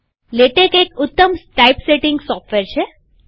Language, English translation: Gujarati, Latex is an excellent typesetting software